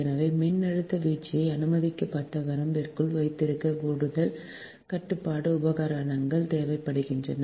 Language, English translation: Tamil, hence additional regulating equipment is required to keep the voltage drop within permissible limit